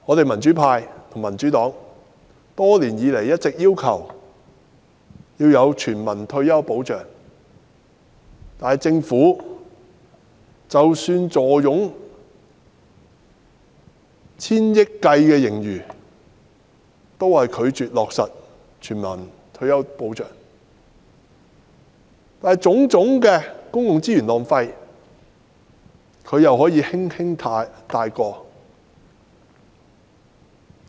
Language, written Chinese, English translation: Cantonese, 民主派、民主黨多年以來一直要求政府制訂全民退休保障；然而，政府即使坐擁以千億元計的盈餘，仍然拒絕落實全民退休保障，卻可以輕率通過種種浪費公共資源的項目。, The pro - democracy camp and the Democratic Party have been urging the Government to put in place universal retirement protection for many years . However despite its fiscal surplus amounting to hundreds of billions of dollars the Government has still been reluctant to implement universal retirement protection . In contrast it has hastily approved various projects which are wasting public resources